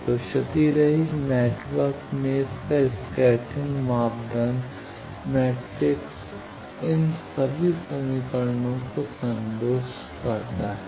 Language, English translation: Hindi, So, in lossless network its scattering parameter matrix satisfies all these equations